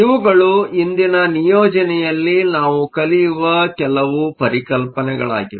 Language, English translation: Kannada, These are some of the concepts that we will touch in today’s assignment